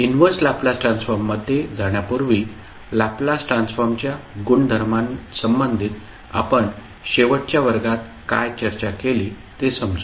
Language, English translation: Marathi, Before going into the inverse Laplace transform, let us understand what we discussed in the last class related to the properties of the Laplace transform